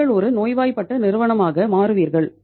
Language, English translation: Tamil, You will become a sick company